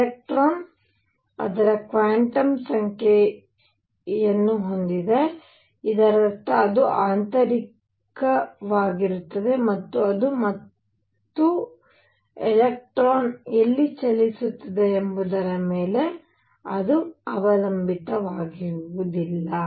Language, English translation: Kannada, Electron has a quantum number of it is own; that means, it is intrinsic to it is intrinsic to it and it does not depend on where the electron is moving